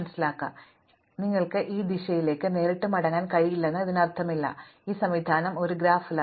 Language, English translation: Malayalam, So, this does not mean that you cannot go back directly on this direction, so these are directed graphs